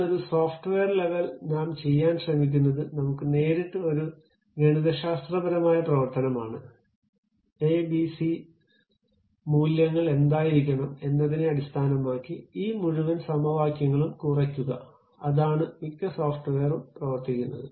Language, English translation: Malayalam, But a software level, what we are trying to do is we straight away have a mathematical functions, minimize these entire equations based on what should be the a, b, c values, that is the way most of the software works